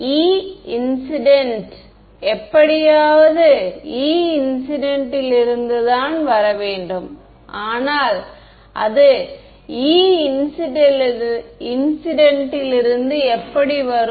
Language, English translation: Tamil, E incident it has to come somehow from E incident, but how will it come from E incident